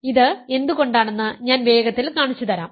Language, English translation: Malayalam, I will show you quickly why is this